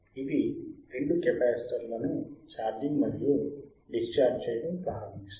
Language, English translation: Telugu, This makes bothmore capacitors to start charging and discharging right